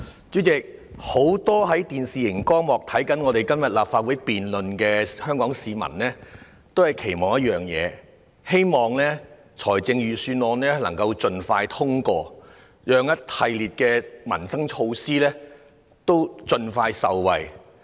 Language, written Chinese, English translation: Cantonese, 主席，很多收看今天立法會財政預算案辯論電視直播的香港市民皆期望一件事，就是希望預算案能夠盡快通過，讓一系列民生措施可以盡快落實，令市民盡早受惠。, Chairman many Hong Kong citizens now watching the live television broadcast of the Budget debate in the Legislative Council today all wish for one thing namely the prompt passage of the Budget so that a series of livelihood initiatives can be implemented as soon as possible for peoples early benefits